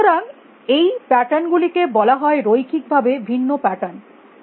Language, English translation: Bengali, So, such patterns have call linearly separable patterns